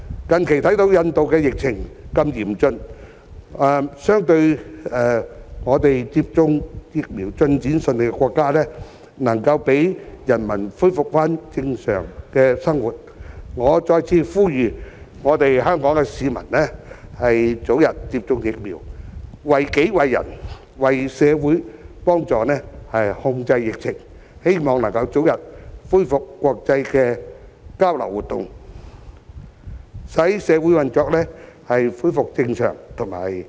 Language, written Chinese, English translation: Cantonese, 近期看到印度的疫情如此嚴峻，相對接種疫苗進展順利的國家，能夠讓人民恢復正常的生活，我再次呼籲香港市民早日接種疫苗，為己為人為社會，幫助控制疫情，希望早日恢復國際交流活動，使社會運作恢復正常，以及讓經濟有所發展。, Members can see for themselves the severity of the epidemic in India lately . In contrast people in countries with smooth vaccination progress have been able to resume a normal life . Once again I urge Hong Kong people to receive vaccination as early as possible and assist in bringing the epidemic under control for the well - being of themselves others and the community in the hope that international exchange activities can resume expeditiously society can resume normal operation and the economy can continue to develop